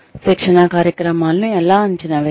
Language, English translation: Telugu, How do you evaluate, training programs